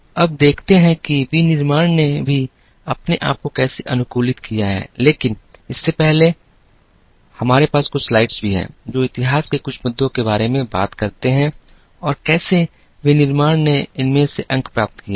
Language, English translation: Hindi, Now, let us see how manufacturing have also adapted themselves, but before that, we also have a couple of slides, which talk about some issues in history and how manufacturing picked up points from these